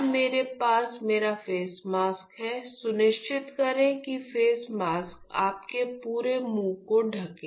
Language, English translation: Hindi, So, now I have my face mask, make sure the face mask covers your entire mouth